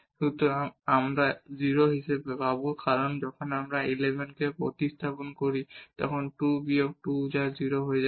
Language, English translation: Bengali, So, we will get as 0 because when we substitute 1 1 there 2 minus 2 that will become 0